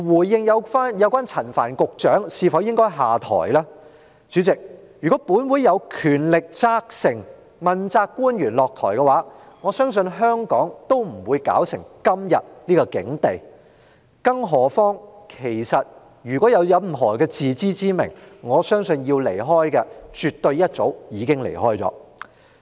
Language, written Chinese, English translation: Cantonese, 至於陳帆局長應否下台，主席，如果本會有權力要求問責官員下台，我相信香港也不會落得今天的境地；更何況，我相信任何人若有自知之明，要離開的，絕對早已離開了。, As regards whether Secretary Frank CHAN should step down Chairman if this Council has the power to ask accountability officials to step down I believe Hong Kong would not have sunk into such a state . Moreover I reckon that people having some self - knowledge would have definitely left long ago if they so wished